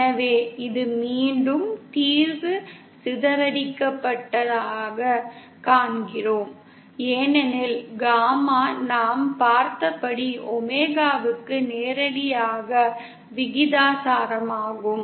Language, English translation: Tamil, So this is again, we see the solution is non dispersive because gamma is directly proportional to omega as we had seen